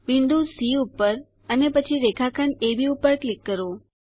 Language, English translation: Gujarati, Click on the point C and then on segment AB